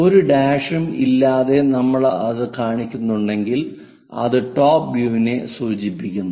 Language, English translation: Malayalam, If we are showing that without any’s dashes it indicates that it is a top view